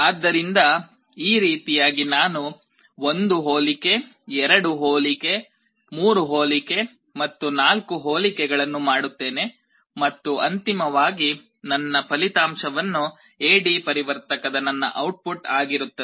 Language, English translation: Kannada, So, in this way I make 1 comparison, 2 comparison, 3 comparison and 4 comparison and I get finally my result whatever will be my output of the A/D converter